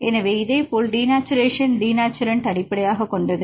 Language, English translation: Tamil, So, this is based on denaturant denaturation likewise you can use thermal denaturation